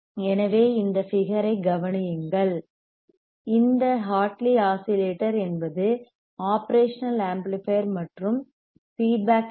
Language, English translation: Tamil, So, consider the figure in which Hartley oscillator is constructed with operational amplifier and a feedback LC, a feedback LC